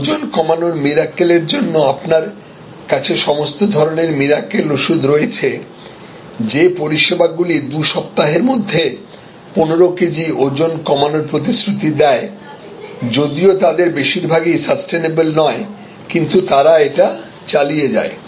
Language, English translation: Bengali, So, you have all kinds of miracle drugs for weight loss miracle services for you know 15 kgs in 2 weeks and something like that many of those are them are not sustainable, but keep on doing it